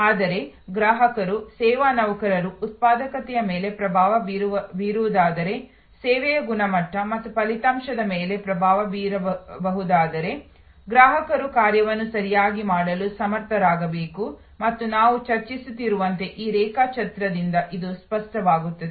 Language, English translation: Kannada, But, if the customers therefore, as service employees can influence the productivity, can influence the service quality and outcome, then customers must be made competent to do the function properly and that is quite clear from our this diagram as we have discussing